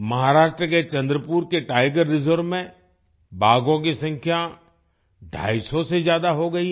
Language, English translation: Hindi, The number of tigers in the Tiger Reserve of Chandrapur, Maharashtra has risen to more than 250